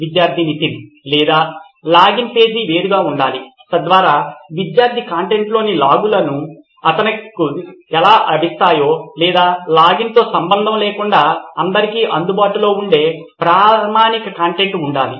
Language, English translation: Telugu, Or should the login page be separate so that based on how the student logs in the content would be available for him or would it be standard content available for all irrespective of login